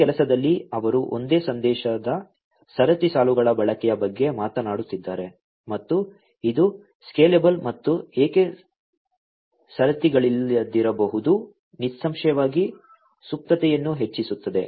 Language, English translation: Kannada, In this work, they are talking about the use of single message queues and which may not be scalable and single queues; obviously, will increase the latency